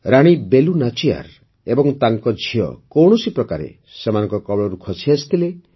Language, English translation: Odia, Queen Velu Nachiyar and her daughter somehow escaped from the enemies